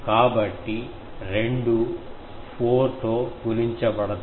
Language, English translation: Telugu, So, both will be multiplied by 4